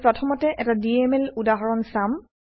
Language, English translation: Assamese, We will first see a DML example